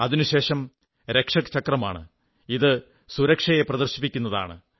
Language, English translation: Malayalam, Following that is the Rakshak Chakra which depicts the spirit of security